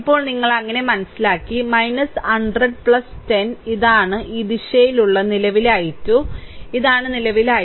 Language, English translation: Malayalam, Now, you understood so minus 100 plus 10 right into you this is the current i 2 this direction, this is the current i 2